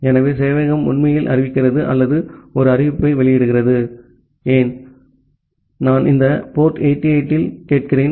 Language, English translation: Tamil, So, the server is actually announcing or making an announcement that hey, I am listening at this port 8080